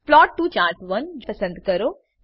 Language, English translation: Gujarati, Select Plot to Chart1